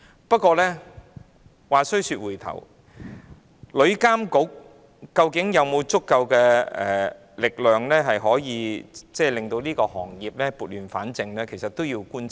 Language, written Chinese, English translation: Cantonese, 不過，話說回來，究竟旅監局有否足夠力量令旅遊業撥亂反正，仍有待觀察。, However looking at the issue again further observation is still needed to see if TIA has sufficient power to bring the tourism industry back on the right track